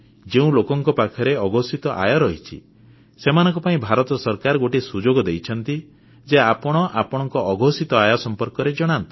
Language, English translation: Odia, To the people who have undisclosed income, the Government of India has given a chance to declare such income